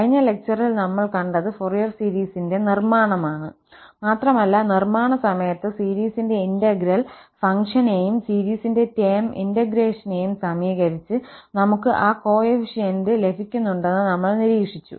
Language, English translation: Malayalam, So, in the last lecture, we have seen the construction of the Fourier series and during the construction, we have observed that we are getting those coefficients by equating the function integral and the term by term integration of the series